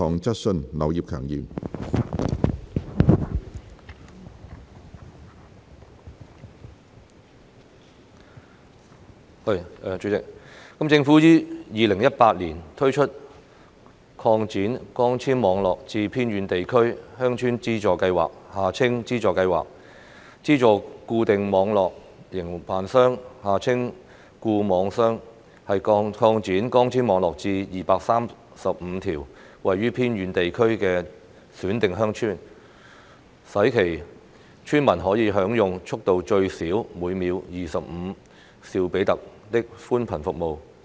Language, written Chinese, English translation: Cantonese, 主席，政府於2018年推出擴展光纖網絡至偏遠地區鄉村資助計劃，資助固定網絡營辦商擴展光纖網絡至235條位於偏遠地區的選定鄉村，使其村民可享用速度最少每秒25兆比特的寬頻服務。, President the Government launched the Subsidy Scheme to Extend Fibre - based Networks to Villages in Remote Areas in 2018 to subsidize fixed network operators FNOs to extend fibre - based networks to 235 selected villages located in remote areas so that the villagers therein can enjoy broadband services of speed of at least 25 megabits per second Mbps